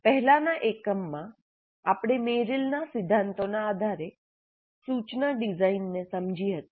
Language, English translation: Gujarati, In the earlier unit, we understood instruction design based on Merrill's principles